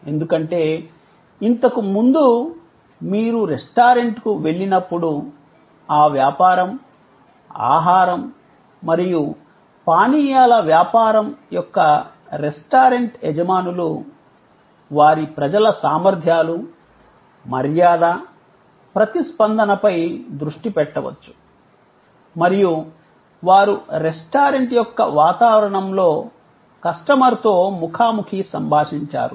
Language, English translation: Telugu, Because, earlier when you went to a restaurant, the restaurant owners of that business, food and beverage business could focus on the competencies, politeness, responsiveness of their people and they interacted face to face with the customer in an environment and ambiance of the restaurant